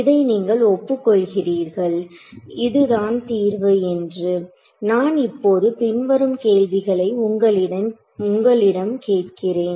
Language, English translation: Tamil, So, you agree that this is a solution now let me ask you the following question